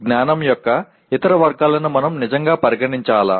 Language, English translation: Telugu, Should we really consider any other category of knowledge